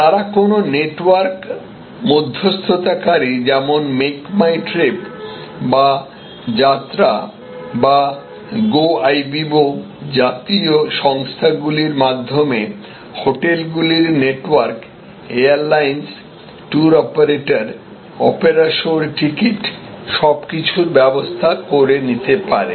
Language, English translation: Bengali, They can negotiate using a network intermediary like make my trip or Yatra and so on, Goibibo so many of them and using the connections of this network, networks of hotels, airlines, tour operators, tickets for opera shows and so on